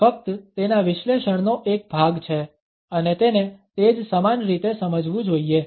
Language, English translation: Gujarati, It is a part of his analysis only and has to be perceived in the same manner